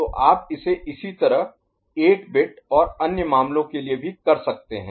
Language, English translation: Hindi, So, you can extend it for 8 bit and other cases